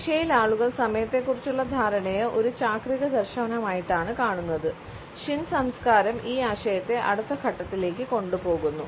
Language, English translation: Malayalam, In Asia the people view the perception of time as a cyclical vision, shin culture takes a concept to a next step